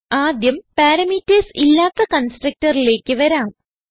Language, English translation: Malayalam, Now let us first come to the constructor with no parameters